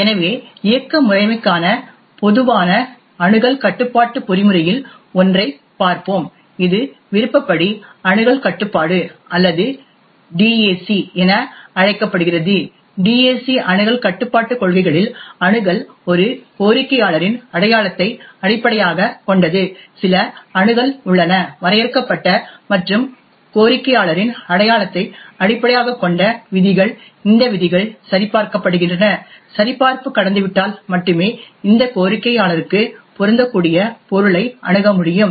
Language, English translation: Tamil, So we will look at one of the most common access control mechanism for the operating system, this is known as the discretionary access control or DAC, in DAC access control policies, the access is based on the identity of a requester, there are some access rules that are defined and based on the identity of the requester, these rules are verified and only if the verification passes only then will this requester which is the subject would get access to the corresponding object